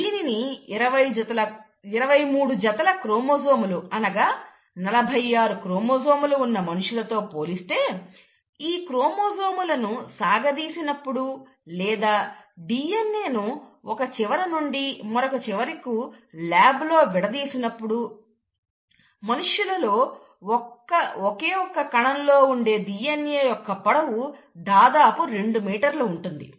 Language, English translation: Telugu, Now compare this to humans where would have about twenty three pairs of chromosomes, in total we have forty six chromosomes, and if we were to unwind these chromosomes, or the DNA and put it together end to end in, let’s say, a lab, you will find that the actual length of DNA from a single cell in humans is probably two meters long